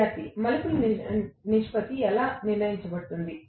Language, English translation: Telugu, Student: How the turns ratio is decided